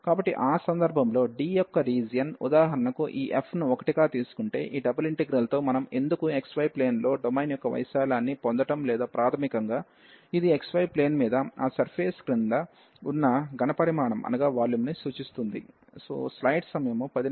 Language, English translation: Telugu, So, in that case the area of D if we for example take this f to be 1, so why with this double integral, we can get the area of the domain in the x, y plane or basically this represents the volume under that surface over the x, y plane well